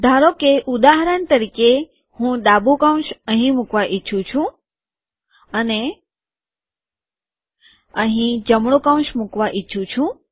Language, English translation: Gujarati, Suppose for example, I want to put a left bracket here and here I want to put a right bracket